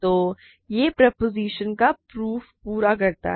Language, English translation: Hindi, So, this completes the proof of the proposition